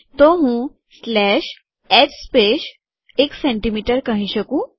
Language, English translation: Gujarati, I can always say slash h space 1cm